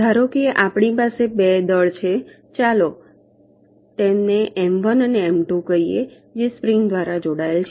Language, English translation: Gujarati, so let see, suppose we have two masses, lets call them m one and m two, that are connected by a spring